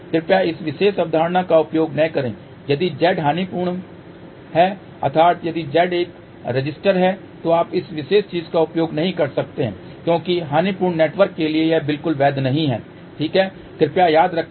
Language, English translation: Hindi, Please do not use this particular concept if Z is lossy that means, if Z is a resistor you cannot use this particular thing because for lossy network this is not at all valid, ok